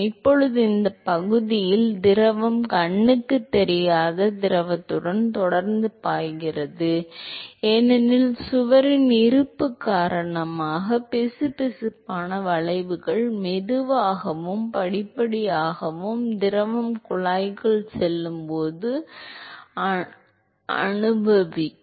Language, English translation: Tamil, Now, in this region here the fluid will continue to be flowing with the as an invisible fluid because the viscous effects due to the presence of the wall will be experienced slowly and gradually as the fluid goes inside the tube